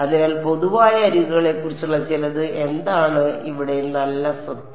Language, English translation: Malayalam, So, something about common edges what is what is a nice property of these things